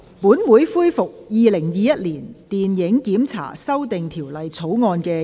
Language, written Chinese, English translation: Cantonese, 本會恢復《2021年電影檢查條例草案》的二讀辯論。, This Council resumes the Second Reading debate on the Film Censorship Amendment Bill 2021